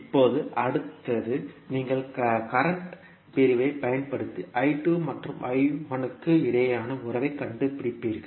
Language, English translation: Tamil, Now, next is you will use the current division and find out the relationship between I 2 and I 1